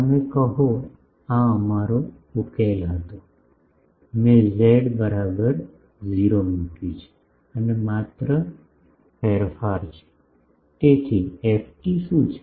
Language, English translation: Gujarati, You say, this was our solution, I have just put z is equal to 0 and only the change is; so, what is ft